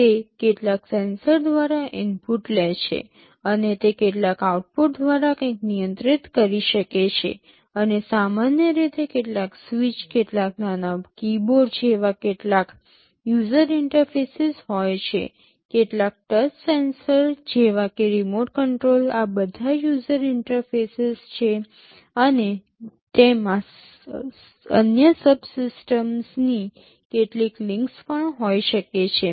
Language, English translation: Gujarati, It takes inputs through some sensors, and it can control something through some outputs, and there are typically some user interfaces like some switches, some small keyboards, like some touch sensors maybe a remote control, these are all user interfaces and it can also have some links to other subsystems